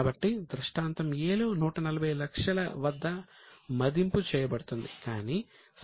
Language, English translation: Telugu, So, in scenario A, the valuation will be made at 140 lakhs